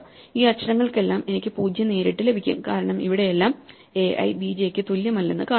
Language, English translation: Malayalam, So, for all of these letters I will get 0 directly because it says that a i is not equal to b j